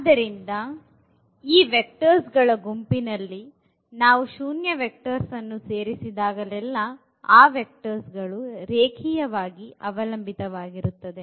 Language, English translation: Kannada, So, whenever we have a zero vector included in the set of these vectors then these vectors are going to be linearly dependent